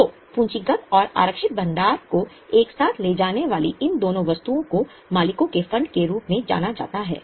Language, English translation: Hindi, So, these two items taken together, capital plus reserves, are known as owners fund